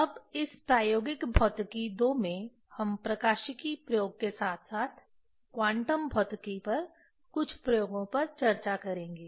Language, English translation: Hindi, Now, in this Experimental Physics II, we will discuss optics experiment as well as some experiments on quantum physics